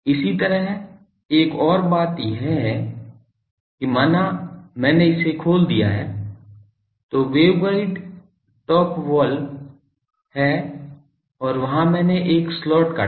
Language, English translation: Hindi, Similarly, another thing is suppose I have open in so, waveguide top wall and there I cut a slot